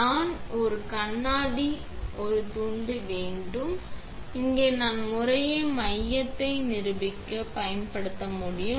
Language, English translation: Tamil, I have a piece of glass here that I can use to demonstrate the center that respectively